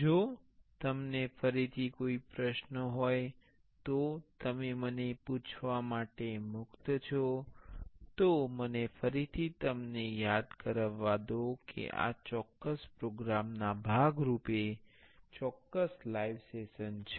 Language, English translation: Gujarati, If you any questions again you are free to ask me, let me again remind you there would be a certain live session as a part of this particular program